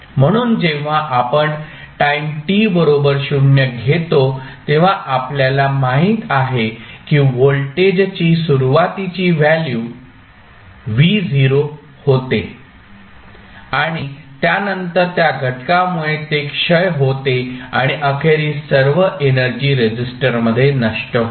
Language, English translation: Marathi, So, when you it is decaying, when we take the time t is equal to 0, we know that the initial value of voltage was V Naught and then after that, because of this factor it is decaying, and eventually all energy would be dissipated in the resistor